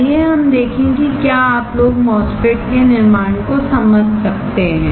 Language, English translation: Hindi, Let us see whether you guys can understand the fabrication of the MOSFET